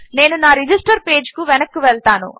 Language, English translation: Telugu, I will go back to my register page